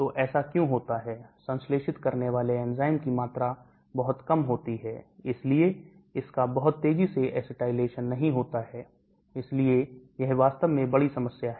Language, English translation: Hindi, So why does it happen, the amount of enzyme that synthesized is very low so it does not get acetylation very fast, so that is the big problem actually